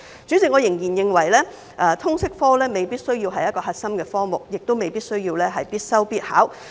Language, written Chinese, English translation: Cantonese, 主席，我仍然認為通識科未必需要是核心科目，也未必需要必修必考。, President I still do not consider it absolutely necessary for LS to be a core subject or be compulsory for public assessment